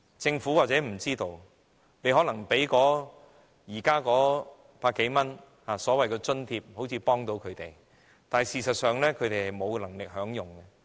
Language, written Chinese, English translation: Cantonese, 政府或許不知道，當局現時提供百多元的所謂資助，好像能幫助他們，但事實上他們沒有能力享用。, As the Government may not be aware the so - called subsidy of 100 - odd provided by the authorities at present seems to be able to help them but the help is only minimal